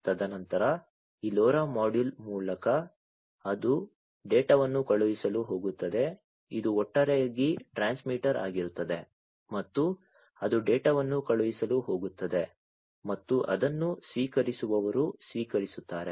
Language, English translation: Kannada, And then it will through this LoRa module it is going to send the data, this will be the overall transmitter and it is going to send the data, and it will be received by the receiver